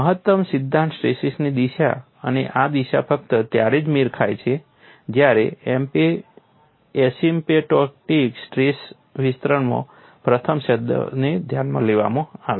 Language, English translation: Gujarati, The direction of maximum principle stress and this direction coincide only if the first term in the asymptotic stress expansion is considering